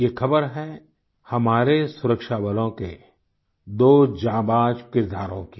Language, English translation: Hindi, This is the news of two brave hearts of our security forces